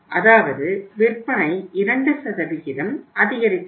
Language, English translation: Tamil, It means sales have gone up by 2%